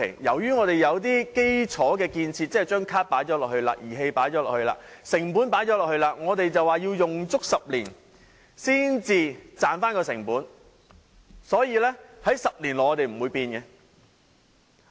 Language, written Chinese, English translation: Cantonese, 由於我們已經有了基礎建設，即已經購置卡、儀器和投入成本，因此我們便說要用足10年才能抵銷成本，所以在10年內也不會作出改變。, Since we have put the infrastructure in place that is cards and equipment were bought and costs incurred we say that the costs can be offset only after everything has been used for a full 10 years so no change will be made within 10 years